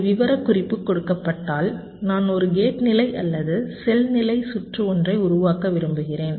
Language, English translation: Tamil, given a specification, i want to generate either a gate level or a cell level circuit